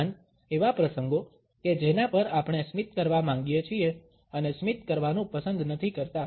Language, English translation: Gujarati, Also, the occasions on which we would like to smile and we would not like to smile